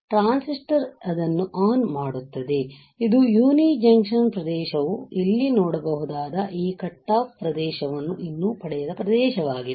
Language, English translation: Kannada, So, a transistor will turn on this is a region where uni junction region does not yet receive this cutoff region you can see here